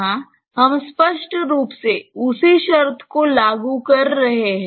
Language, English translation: Hindi, Here, we are implicitly applying the same condition